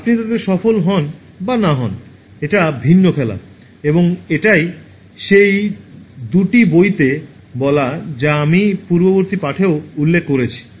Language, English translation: Bengali, It is a different game whether you succeed in that or not and these are the two books which I mentioned in the previous one also